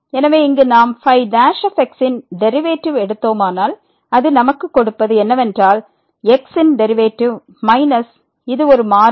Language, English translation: Tamil, So, what will now give us if we take the derivative here the is equal to the derivative of minus this is a constant